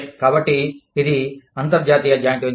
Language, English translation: Telugu, So, that is an international joint venture